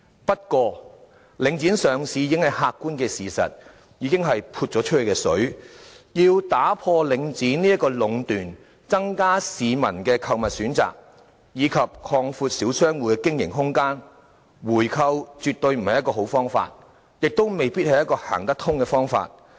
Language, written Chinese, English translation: Cantonese, 不過，領展上市已經是客觀的事實，已是"潑出去的水"，要打破領展的壟斷，增加市民的購物選擇，以及擴闊小商戶的經營空間，回購絕對不是好方法，亦未必行得通。, To break the monopolization of Link REIT increase choices of shops for the people and expand business spaces for small shop operators buying back Link REIT is definitely neither a good nor feasible option